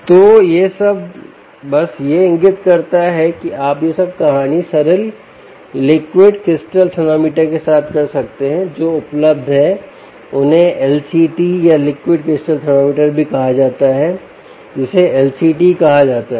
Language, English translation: Hindi, so all of this simply indicates that you can do all this story with simple liquid crystal thermometers, which are available, also called l c, ts or liquid crystal thermometer, also called l c, l, c, t l c, ts